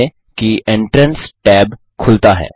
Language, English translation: Hindi, Notice that the Entrance tab is open